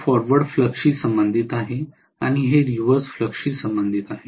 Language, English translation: Marathi, This is corresponding to forward flux and this is corresponding to reverse flux